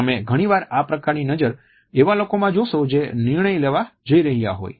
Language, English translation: Gujarati, Often you would come across this type of a gaze in those people who are about to take a decision